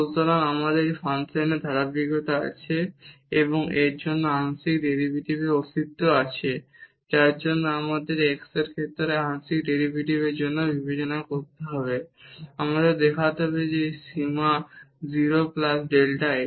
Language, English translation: Bengali, So, we have the continuity of this function and also the existence of the partial derivative for that we have to consider for partial derivative with respect to x we need to show that this limit 0 plus delta x